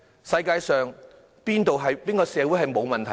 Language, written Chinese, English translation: Cantonese, 世界上哪個社會沒有問題？, Is there any society in the world that is free from any problems?